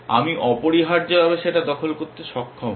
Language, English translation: Bengali, I should be able to capture that essentially